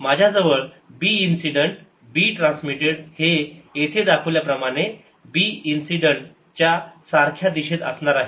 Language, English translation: Marathi, i am going to have b incident, b transmitted, as shown here, in the same direction as b incident